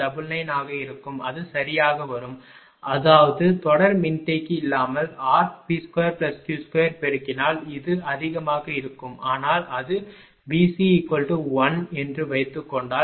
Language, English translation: Tamil, 099 something it will come right so; that means, with without without series capacitor the r into P square plus Q square is multiplying by this much it is higher, but if it is suppose V C is raised to 1